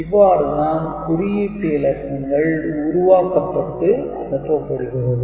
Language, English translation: Tamil, So, this is the way the coded data will be generated and to be sent, ok